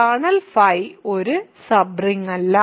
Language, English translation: Malayalam, So, kernel phi is not a sub ring